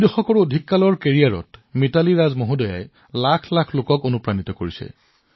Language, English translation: Assamese, Mitali Raj ji has inspired millions during her more than two decades long career